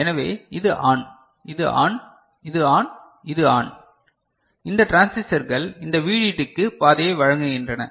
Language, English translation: Tamil, So, this is ON, this is ON, this is ON, this is ON, these transistors are providing path to this VDD